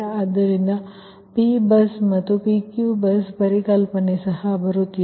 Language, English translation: Kannada, so this concept of p bus and pqv bus are also coming